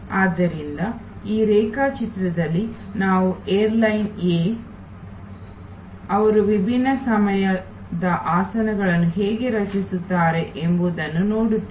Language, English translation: Kannada, So, in this diagram you see how the airlines A, they create different times of seats